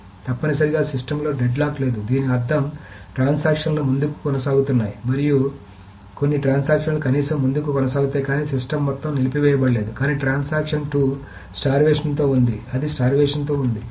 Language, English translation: Telugu, So essentially there is no deadlock in the system in the sense that the transactions are proceeding, some of the transactions are at least proceeding, is not that all the system is halted, but transaction 2 is starved